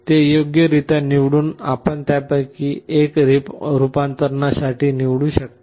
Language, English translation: Marathi, By appropriately selecting it, you can select one of them for conversion